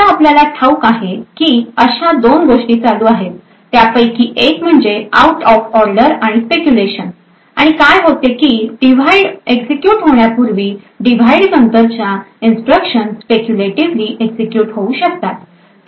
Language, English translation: Marathi, Now as we know there are a couple of things which are going on, one is the out of order and also the speculation and what happens is that even before this divide gets executed it may be likely that the instructions that follow this divide may be speculatively executed